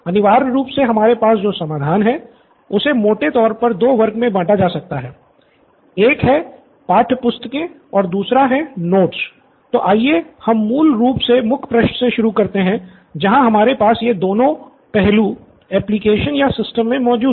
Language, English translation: Hindi, Essentially what we have in the solution would broadly be classified into two, one is the textbook and 1, the other would be the notes, so let us start with a basic homepage where we have these 2 aspects in the application or the system right